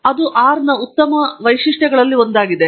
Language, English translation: Kannada, ThatÕs one of the nice features of R